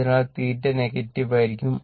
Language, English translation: Malayalam, So, theta will be negative right